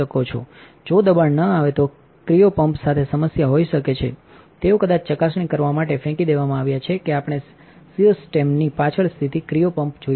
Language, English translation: Gujarati, If the pressure does not drop there might be a problem with the cryo pump they might have been dumped to verify that we would look at the cryo pump which is located behind the system